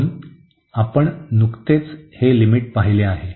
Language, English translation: Marathi, So, here this was the limit we have just seen